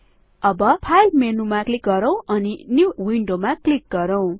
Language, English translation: Nepali, Lets click on the File menu and click on New Window